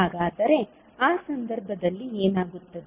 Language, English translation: Kannada, Then in that case what will happen